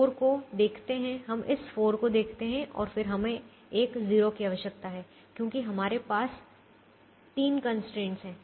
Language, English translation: Hindi, so we look at this four, we look at this four and then we need a zero there because we have three constraints